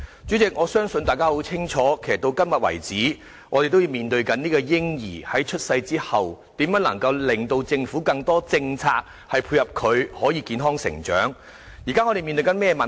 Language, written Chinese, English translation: Cantonese, 主席，我相信大家也很明白，直到今天，我們仍然面對着如何令政府有更多政策配合，令嬰兒在出生後可以健康成長的議題。, President I believe Members are well aware that today we still face the issue as to how we may urge the Government to introduce more policies to facilitate the healthy upbringing of babies after birth